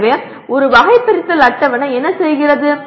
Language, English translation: Tamil, So what does a taxonomy table do